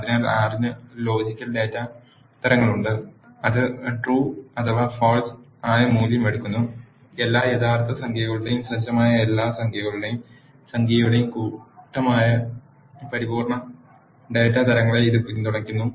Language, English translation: Malayalam, So, R has logical data types which take either a value of true or false, it supports integer data types which is the set of all integers and numeric which is set of all real numbers